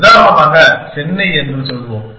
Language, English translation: Tamil, Let us say Chennai for example